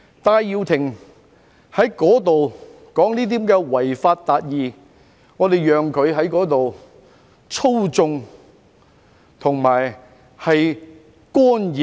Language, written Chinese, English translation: Cantonese, 戴耀廷說甚麼違法達義，我們任由他在那裏操縱和干預學校。, Benny TAI talked about the so - called achieving justice by violating the law and we just let him manipulate and mess in school affairs there